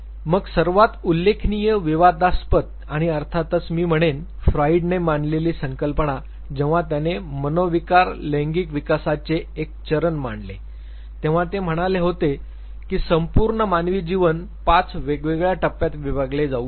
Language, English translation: Marathi, Then the most significant, controversial and of course, celebrated I would say, concept proposed by Freud was when he proposed a stages of psycho sexual development wherein he said, that entire human life can be split into five different stages